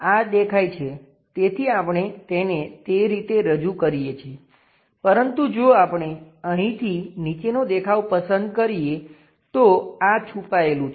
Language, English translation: Gujarati, This one is a visible one so, we are representing it in that way, but if we are picking bottom view from here, this is hidden